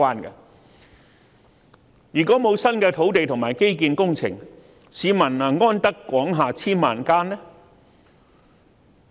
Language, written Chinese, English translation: Cantonese, 如果沒有新的土地和基建工程，市民能"安得廣廈千萬間"嗎？, Can the public have sufficient flats to live in if there is no new land and infrastructure project?